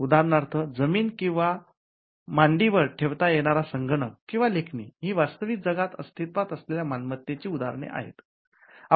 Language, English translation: Marathi, For example, land or a laptop or a pen, these are instances of property that exist in the real world